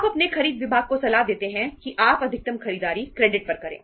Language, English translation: Hindi, You advise your purchase department that maximum purchases you make on credit